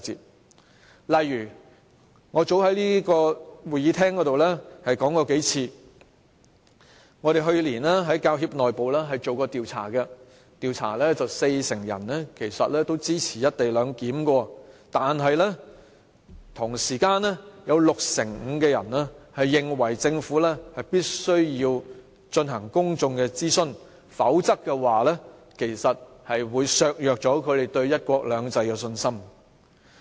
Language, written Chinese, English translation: Cantonese, 舉例來說，我早在這個會議廳內說過數次，我們去年曾在教協內部進行調查，四成受訪者表示支持"一地兩檢"，但同時，有六成五受訪者認為政府必須進行公眾諮詢，否則，會削弱他們對"一國兩制"的信心。, I have for example repeatedly mentioned in this Chamber an internal survey which the Hong Kong Professional Teachers Union conducted last year . This survey reveals that 40 % of the respondents support the co - location arrangement but at the same time 65 % think that the Government must conduct public consultation otherwise their confidence in one country two systems will be undermined